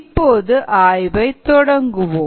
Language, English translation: Tamil, ok, let's begin the analysis